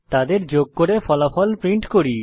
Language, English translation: Bengali, Let us add them and print the result